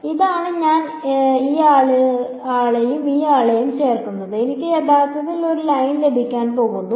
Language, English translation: Malayalam, So, this is going to be I am adding this guy and this guy I am going to actually get a line